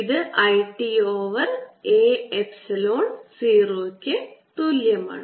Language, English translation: Malayalam, d e d t, which is going to be one over epsilon zero